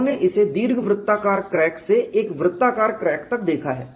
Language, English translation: Hindi, They have looked at it for an elliptical, from an elliptical crack to a circular crack